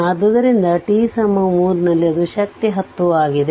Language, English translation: Kannada, So, at t is equal to 3 it is strength is 10